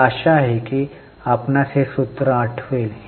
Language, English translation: Marathi, I hope you remember the formula